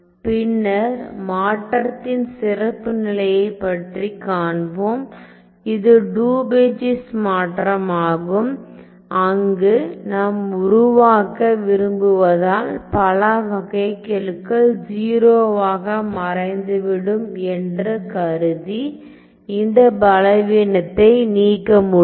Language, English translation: Tamil, So, later on I will show you a special case of a transform that is the Daubechies transform, where I can remove this weakness by assuming as many derivatives to vanish to 0 as I want to construct ok